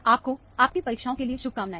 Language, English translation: Hindi, Good luck in your examination